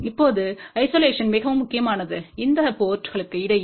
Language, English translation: Tamil, Now isolation is very important between these ports